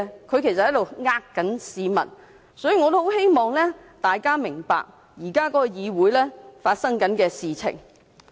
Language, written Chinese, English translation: Cantonese, 其實他們欺騙市民，我也希望大家明白，議會現時正在發生的事情。, They are actually deceiving the people . I also hope that we can all understand what is happening in the Council now